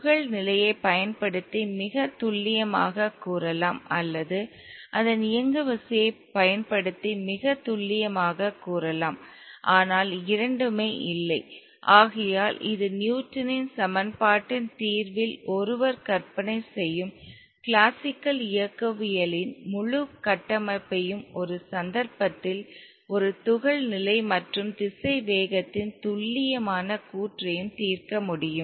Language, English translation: Tamil, The state of the particle can either be very precisely stated using the position or very precisely stated using its momentum but not both and therefore this brings down the whole structure of classical mechanics where one would imagine in the solution of the Newton's equation the precise statement for the position and velocity of a particle at one instant of time and be able to solve